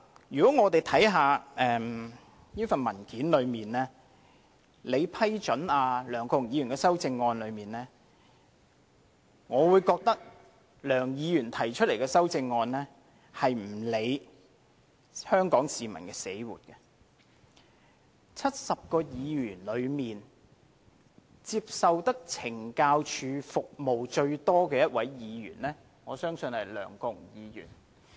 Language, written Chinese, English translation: Cantonese, 讓我們看看這份文件，即在你批准梁國雄議員的修正案中，我認為梁議員提出的修正案並沒有理會香港市民死活，在70位議員中，接受懲教署服務最多的一位議員，我相信是梁國雄議員。, Let us look at this paper which shows the amendments proposed by Mr LEUNG Kwok - hung and approved by you . I think that all these amendments simply ignore the dire consequences on Hong Kong people . I suppose that among the 70 Members Mr LEUNG Kwok - hung must be the most frequent recipient of the services provided by the Correctional Services Department CSD